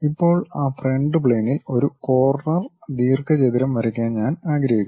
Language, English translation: Malayalam, Now, on that frontal plane, I would like to draw a corner rectangle